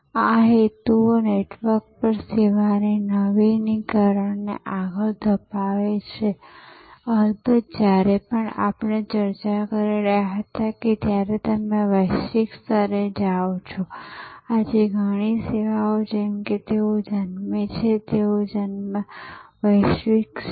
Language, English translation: Gujarati, These motives drive the service innovation over network, there are of course, when you go global as we were discussing, many services today as they are born, their born global